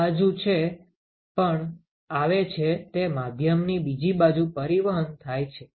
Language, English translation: Gujarati, Whatever is coming in this side is transmitted to the other side of the medium